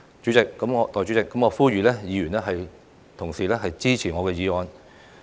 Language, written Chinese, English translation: Cantonese, 代理主席，我呼籲議員支持我的議案。, Deputy President I urge Members to support my motion